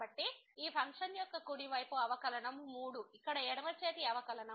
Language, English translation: Telugu, So, the right side derivative of this function is 3 where as the left hand derivative